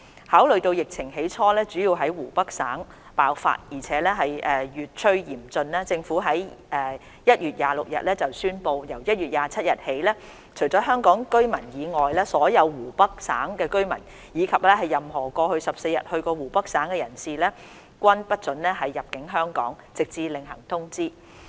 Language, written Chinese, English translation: Cantonese, 考慮到疫情起初主要在湖北省爆發而且越趨嚴峻，政府在1月26日宣布，由1月27日起，除香港居民外，所有湖北省居民，以及任何過去14日到過湖北省的人士，均不獲准入境香港，直至另行通知。, Having considered that the outbreak mainly took place in Hubei Province early on and was getting more severe the Government announced on 26 January that with effect from 27 January except for Hong Kong residents all residents of Hubei Province and persons who had visited Hubei Province in the past 14 days would not be permitted to enter Hong Kong until further notice